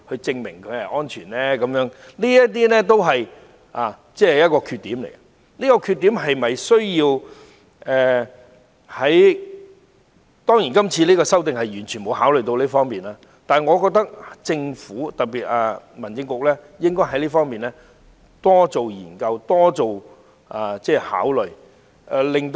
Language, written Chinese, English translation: Cantonese, 這些都是《條例草案》的缺點，而這些缺點是否需要......當然，今次提出的修訂完全沒有考慮這方面，但我認為政府——尤其是民政事務局——應該在這方面多作研究和考慮。, This is among the shortcomings of the Bill and whether they need to be It is for sure that the amendments proposed this time have not at all taken into account matters in this respect but I think the Government―in particular the Home Affairs Bureau―should do more research and give more consideration in this connection